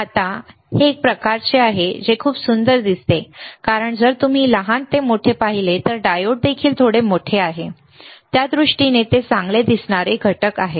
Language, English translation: Marathi, Now it is kind of it looks very beautiful because if you see from smaller to bigger actually diode is also little bit big in terms of he has placed the components it looks good, all right